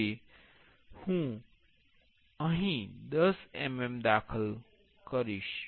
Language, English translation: Gujarati, Now, I will enter 10 mm here